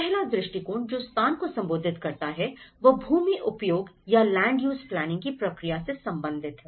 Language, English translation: Hindi, In the first one, the location approach, it deals with the process of land use planning